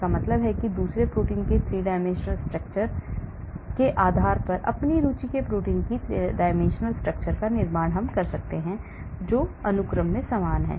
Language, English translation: Hindi, that means I build the 3 dimensional structure of the protein of my interest based on the 3 dimensional structure of another protein, which is similar in the sequence